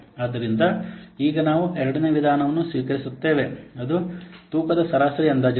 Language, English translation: Kannada, So now we will see the second one that is weighted average estimates